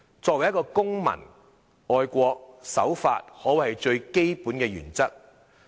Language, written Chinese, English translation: Cantonese, 作為一個公民，愛國、守法可謂是最基本的原則。, As a citizen being patriotic and law - abiding is arguably a fundamental principle